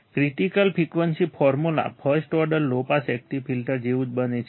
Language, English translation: Gujarati, Critical frequency formula becomes similar to first order low pass active filter